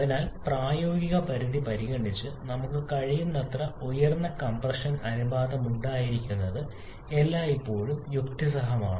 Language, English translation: Malayalam, And therefore it is always logical to have higher compression ratio as much as we can considering the practical limit